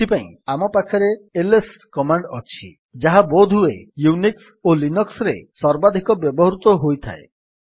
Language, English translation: Odia, For this, we have the ls command which is probably the most widely used command in Unix and Linux